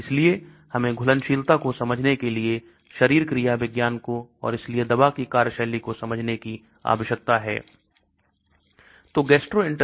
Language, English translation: Hindi, So we need to understand the physiology of the stomach to understand the solubility and hence drug action